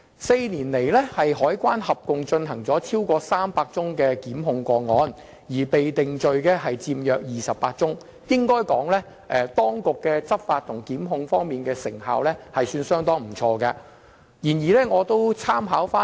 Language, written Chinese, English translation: Cantonese, 四年來，香港海關共提出了超過300宗檢控個案，約28宗被定罪，可以說當局執法及檢控方面的成效相當不俗。, In the past four years the Customs and Excise Department CED has prosecuted 300 cases among which the defendants in 28 cases were convicted